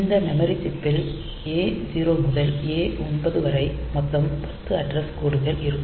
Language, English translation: Tamil, So, this memory chip has got 10 address lines A0 to A9